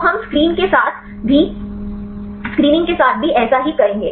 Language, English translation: Hindi, So, we will do the same then do with the screening